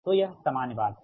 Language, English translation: Hindi, so this is that general thing